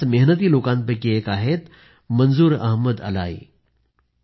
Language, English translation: Marathi, One such enterprising person is Manzoor Ahmad Alai